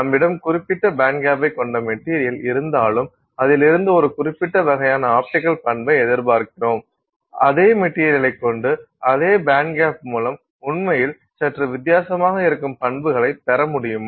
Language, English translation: Tamil, So even if you have a material with a certain band gap and therefore you expect a certain type of optical property, is it possible that with the same material with that same band gap you can get actually properties that look somewhat different